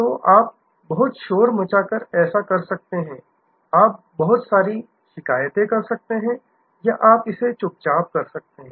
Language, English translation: Hindi, So, you can do that by making a lot of noise, you can by making a lot of complaint or you can do it quietly